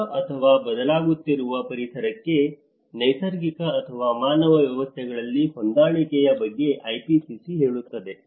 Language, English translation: Kannada, The IPCC tells about the adjustment in natural or human systems to a new or changing environment